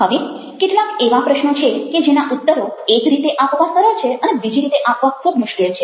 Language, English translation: Gujarati, now, there is certain questions which are very easy to answer in one sense and very difficult to answer in another sense